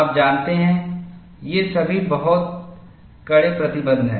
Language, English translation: Hindi, You know, these are all very stringent restrictions